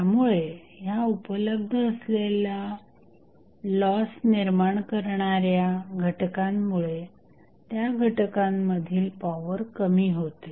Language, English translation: Marathi, So, because of the available loss components, we have the power loss in those components